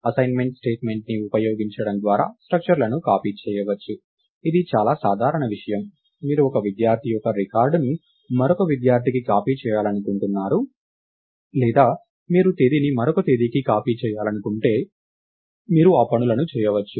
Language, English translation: Telugu, copied by using assignment statement, thats a very common thing, you want to copy, lets say one student's record to another student or you want to copy the date to another ah